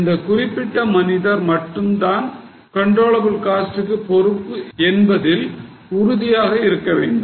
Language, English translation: Tamil, And we will try to hold that particular person responsible only for controllable costs